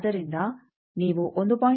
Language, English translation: Kannada, So, if you have 1